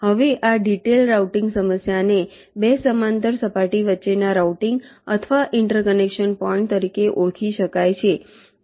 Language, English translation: Gujarati, now this detail routing problem can be identified as routing or interconnecting points between two parallel surface